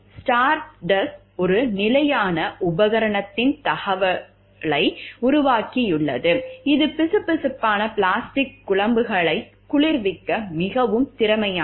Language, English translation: Tamil, Stardust has developed an adaptation of a standard piece of equipment that makes it highly efficient for cooling a viscous plastics slurry